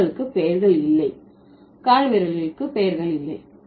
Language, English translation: Tamil, Fingers do not have names, toes do not have names, okay